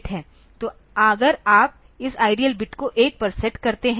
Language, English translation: Hindi, So, if you set this IDL bit to 1